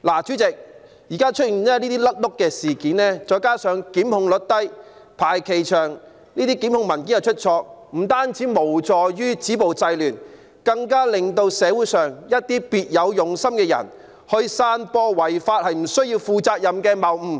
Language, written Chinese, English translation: Cantonese, 主席，現在出現這些"甩轆"事件，再加上檢控率低、排期長、檢控文件出錯，不但無助於止暴制亂，更令社會上一些別有用心的人可以散播違法也不需要負上責任的謬誤。, President the occurrence of such blunders now coupled with the low prosecution rate long listing time and errors in prosecution documents not only does little to help stop violence and curb disorder but also enables some people with ulterior motives in society to spread the fallacy that there is no liability for breaking the law